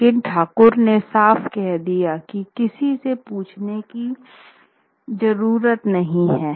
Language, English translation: Hindi, But the Thakur made it clear that there was no need to ask anyone